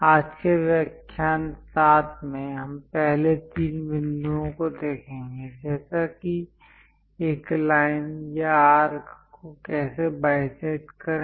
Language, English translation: Hindi, In today's lecture 7, the first three points like how to bisect a line or an arc